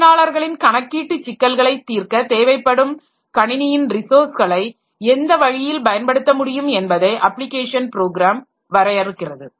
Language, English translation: Tamil, So, application programs they will define the ways in which the system resources are used to solve the computing problems of the users